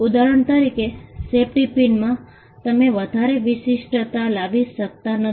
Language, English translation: Gujarati, For instance, in a safety pin there is not much uniqueness you can bring